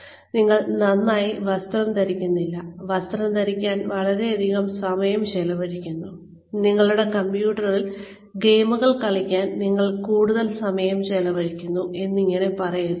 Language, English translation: Malayalam, but you do not dress up very well, you spend too much time dressing up, you spend too much time playing with your, playing games on your computer